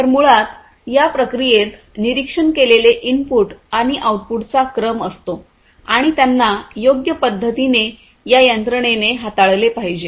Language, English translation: Marathi, So, basically there is a sequence of observed inputs and outputs in the process and that has to be dealt with by these systems suitably